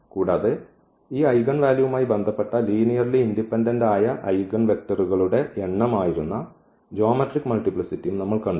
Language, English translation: Malayalam, And we have also seen the geometric multiplicity that was the number of linearly independent eigenvectors associated with that eigenvalue